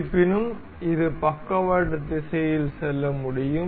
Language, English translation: Tamil, However, it can move in lateral direction